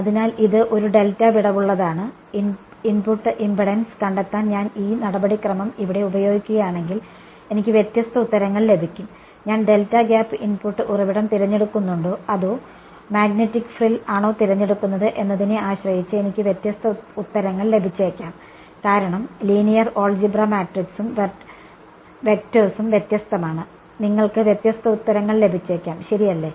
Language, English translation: Malayalam, So, this is with a delta gap right you may ask how do I if I use this procedure over here to find out the input impedance, I will get different answers I may get different answers depending on whether I choose the delta gap input source or magnetic frill because the linear algebra the matrix and the vectors are different, you may you will get different answers right